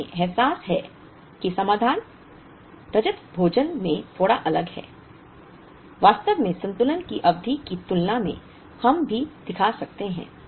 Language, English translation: Hindi, So, we realize that the solution is slightly different in Silver Meal compare to part period balancing in fact, we could even show